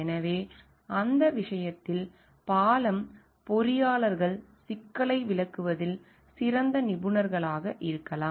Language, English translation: Tamil, So, in that case may be the bridge engineers are better experts in explaining the problem